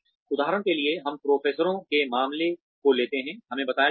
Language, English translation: Hindi, For example, let us take the case of professors, we are told